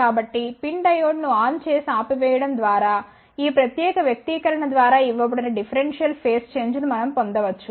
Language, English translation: Telugu, So, just by switching on and off the pin diode we can get a differential phase shift, which is given by this particular expression